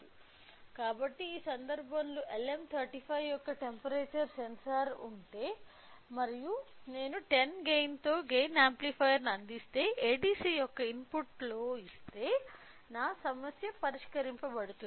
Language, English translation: Telugu, So, that means, if I have a temperature sensor which in this case is of LM35 and if I provide a gain amplifier with a gain of 10 give it as in input of ADC my problem is solved